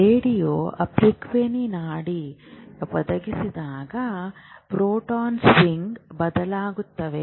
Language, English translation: Kannada, When a radio frequency pulse is provided, the proton spin changes